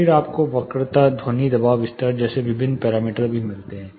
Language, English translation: Hindi, Then you also get different parameters like curvature, sound pressure level